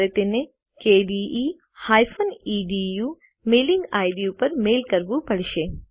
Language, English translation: Gujarati, No You will have to mail it to the kde edu mailing id